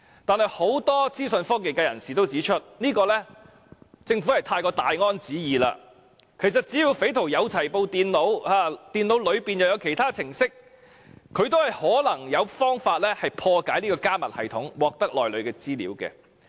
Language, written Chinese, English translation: Cantonese, 但是，很多資訊科技界人士也指出，政府是過於"大安旨意"，其實只要匪徒有電腦，而電腦內也有其他程式，亦可能有方法破解加密系統，獲得內裏的資料。, But many IT practitioners are saying that the Government is having a false sense of security . In fact any criminals can find a way to break through encrypted data as long as he can get hold of the computers and there are other programmes in the computers . The Government is actually sending a misleading message to the public that the encryptions are very difficult to break through